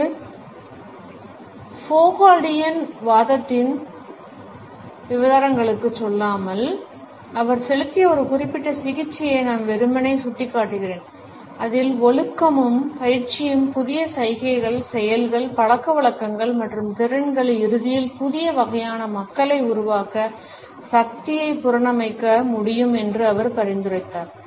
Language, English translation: Tamil, Without going into the details of a Foucauldian argument I would simply point out to a particular treatment which he had paid wherein he had suggested that discipline and training can reconstruct power to produce new gestures, actions, habits and skills and ultimately new kinds of people